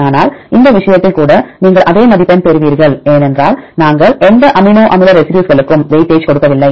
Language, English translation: Tamil, But even in this case you will get a same score, because we do not give weightage to any amino acid residues